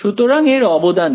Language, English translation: Bengali, So, what is its contribution